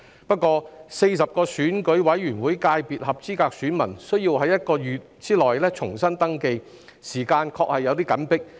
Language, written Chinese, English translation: Cantonese, 不過 ，40 個選舉委員會界別分組的合資格選民需要在1個月內重新登記，時間確實有點緊迫。, However as eligible voters of the 40 subsectors of the Election Committee EC have to register anew within one month the time frame is really tight